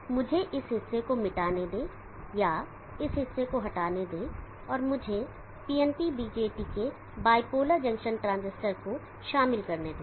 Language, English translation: Hindi, So let me erase this portion or remove this portion and let me include PNP BJT there bipolar junction transistor